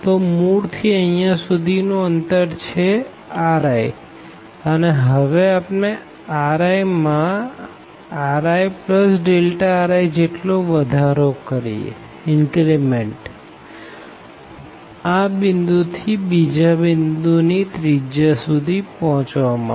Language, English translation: Gujarati, So, this distance from the origin to this is r i, and then we take and increment here in r i by r i plus delta r i to reach to the other radius here from thus to this point